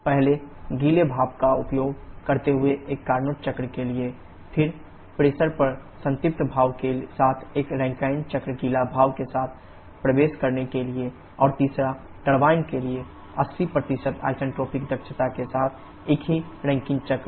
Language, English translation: Hindi, First for a Carnot cycle using wet steam, then a Rankine cycle with saturated steam at the entry to turbines with wet steam and third the same Rankine cycle with 80% isentropic efficiency for the turbine